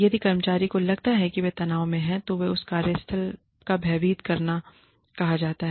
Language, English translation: Hindi, If employees feel, that they are under stress, and that is called workplace